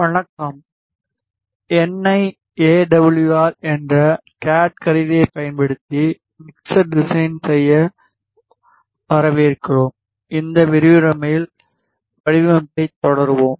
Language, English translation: Tamil, Hello and welcome to mixer design using cad tool which is NI AWR we will continue with the design in this lecture